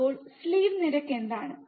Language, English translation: Malayalam, So, what is slew rate